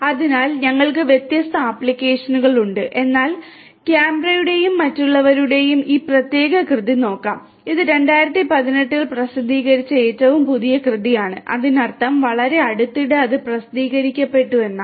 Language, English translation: Malayalam, So, we have different applications, but let us look at this particular work by Cambra et al and it is a very recent work published in 2018; that means, very recently it has been published